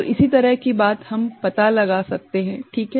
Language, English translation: Hindi, So, similar thing we can find out, ok